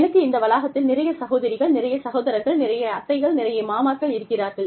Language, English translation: Tamil, And, you know, i mean, i have so many sisters, and so many brothers, and so many aunts, and so many uncles, on this campus